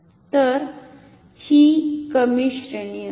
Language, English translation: Marathi, So, this will be a lower range